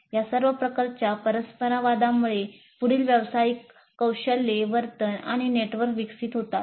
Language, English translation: Marathi, All these kinds of interactions, they lead to the development of further professional skills, behaviors and networks